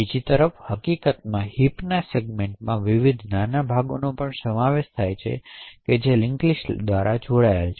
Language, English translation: Gujarati, On the other hand the heap segment in fact comprises of various smaller segments which are connected by link list